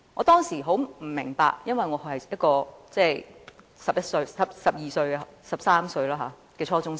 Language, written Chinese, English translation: Cantonese, 當時我並不明白，因為我只是一名十三歲的初中生。, At that time I was only a student of 13 years of age in junior secondary school I did not understand that